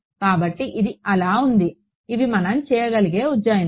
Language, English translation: Telugu, So, this is so, these are the approximations that we can do